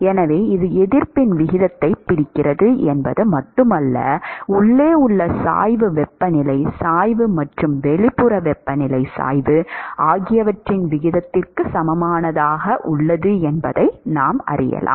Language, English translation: Tamil, So, it is not just that it captures a ratio of resistances, it is also equivalent to the ratio of the gradient temperature gradient inside and temperature gradient outside